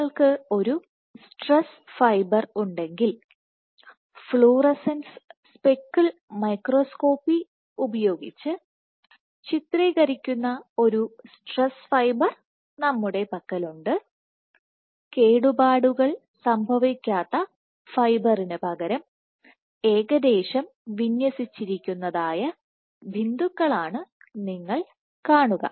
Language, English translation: Malayalam, So, if you have a stress fiber, we have a stress fiber where you are imaging using fluorescence speckle microscopy, so instead of the intact fiber you would see these dots which are kind of roughly aligned